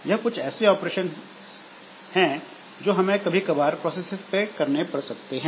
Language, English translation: Hindi, So, these are certain operations that we may like to do on some processes